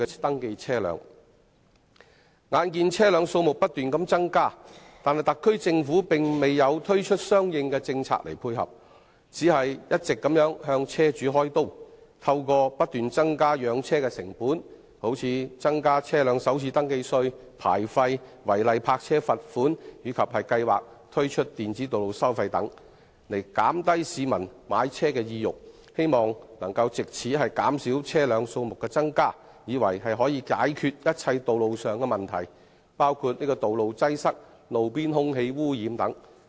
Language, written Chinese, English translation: Cantonese, 眼見車輛數目不斷增加，但特區政府卻沒有推出相應政策配合，只是一直向車主"開刀"，透過不斷增加養車成本，例如增加車輛首次登記稅、牌照費、違例泊車定額罰款及計劃推出的電子道路收費等，減低市民的買車意欲，藉以減少車輛的數目，以為這樣便可以解決所有道路問題，包括道路擠塞和路邊空氣污染等。, Noticing the continuous increase in the number of vehicles the SAR Government has not introduced any corresponding policies to address the problem but has been targeting vehicle owners by continuously increasing the costs of vehicle ownership such as the motor vehicle first registration tax vehicle licence fee and fixed penalty for parking offences and planning to introduce Electronic Road Pricing and so on . The Government seeks to reduce the number of vehicles by discouraging people from buying cars in the hope that all problems relating to roads including traffic congestion and roadside air pollution can be solved